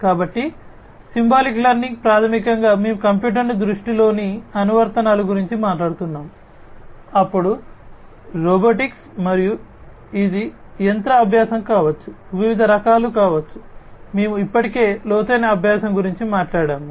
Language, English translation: Telugu, So, symbolic learning, basically, we are talking about applications in computer vision, then, robotics and this can be machine learning, can be of different types; we have already talked about deep learning